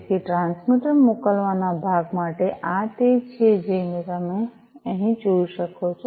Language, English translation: Gujarati, So, for the transmitter sending part, you know, this is as you can see over here